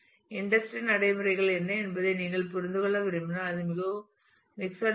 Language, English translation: Tamil, If you would like to understand as to what the industry practices are it is very mixed